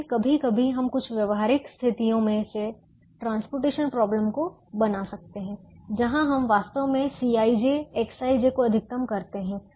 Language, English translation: Hindi, we try to minimize the cost of transportation, but sometimes we can formulate transportation problems out of some practical situations where we actually maximize c i, j, x i j